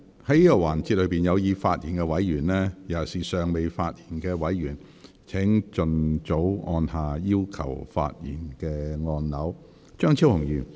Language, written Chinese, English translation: Cantonese, 在這個環節中有意發言的委員，尤其是尚未發言的委員，請盡早按下"要求發言"按鈕。, Members who wish to speak in this session in particular those who have not yet spoken please press the Request to speak button as early as possible